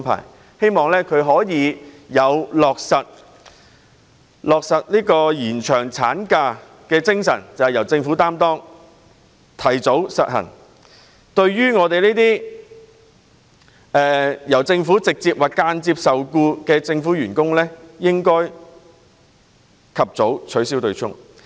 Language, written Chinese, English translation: Cantonese, 我們希望政府可以秉持落實延長產假時的精神，提早實行取消對沖機制，讓直接或間接受僱於政府的員工及早受惠。, We hope the Government will in keeping with the spirit of introducing the extended maternity leave advance the abolishment of the offsetting mechanism so that those employees directly or indirectly employed by the Government could be benefited early